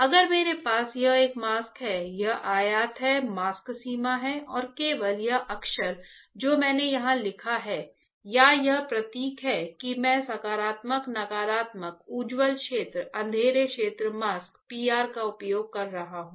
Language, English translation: Hindi, If I have this is a mask, this is this rectangle is my mask boundary alright and only this letters that I have written here right or this symbols that I am using positive negative bright field dark field mask P R